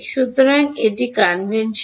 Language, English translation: Bengali, So, this is the convention